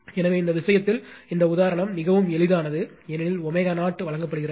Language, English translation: Tamil, So, in this case this problem is very simple, because omega 0 is given